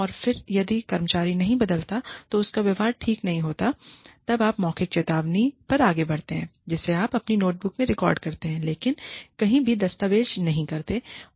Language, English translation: Hindi, And then, if the employee does not change, or does not correct, his or her behavior, then you move on to a verbal warning, that you record in your own notebook, but do not document anywhere